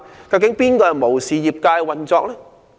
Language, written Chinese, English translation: Cantonese, 究竟是誰無視業界運作？, Who is the one who has disregarded the operation of the trade?